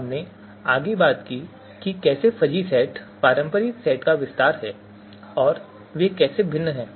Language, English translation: Hindi, We talked about how fuzzy set is an extension of you know the conventional set